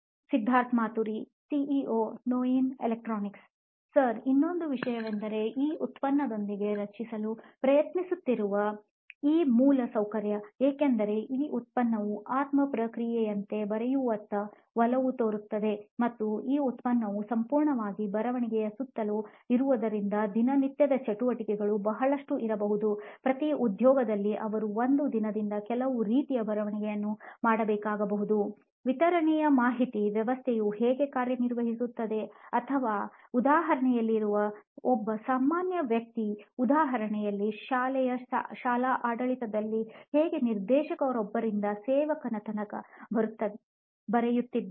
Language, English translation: Kannada, Another thing would be Sir is the infrastructure what we are trying to create with this product, since this product is inclined towards writing as the process as a soul process and this product is completely around writing, there are lot of day to day activities probably maybe every job profile would be having where they are supposed to do some sort of writing in a day, like a distributor how a distributed information system works or maybe how a school in a layman’s example how a school administration works taking down from a director of the school till the peon